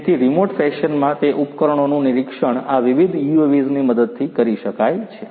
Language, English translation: Gujarati, So, monitoring those equipments you know in a remote fashion can be done with the help of these different UAVs